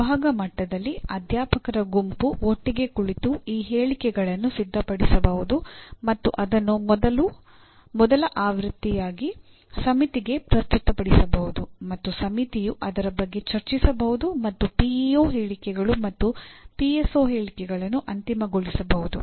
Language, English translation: Kannada, At department level, a group of faculty can sit together and prepare these statements and present it to the committee as the first version and the committee can debate/deliberate over that and finalize the PEO statements and PSO statements